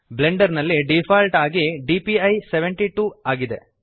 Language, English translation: Kannada, the default DPI in Blender is 72